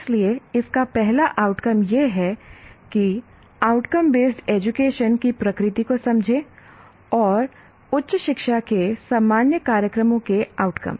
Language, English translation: Hindi, So that is the first outcome of this is understand the nature of outcome based education and outcomes of higher educational, higher education general programs